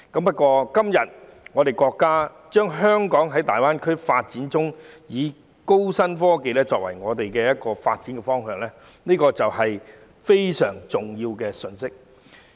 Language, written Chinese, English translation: Cantonese, 不過，國家今天表明，在大灣區發展中，高新科技會成為香港的發展方向，這是一個非常重要的信息。, Nevertheless nowadays the country has specified new and high technology to be the new development direction of Hong Kong in the development of GBA . This is a very important message